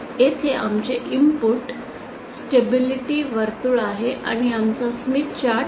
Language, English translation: Marathi, Here is our input stability circle and here is our smith chart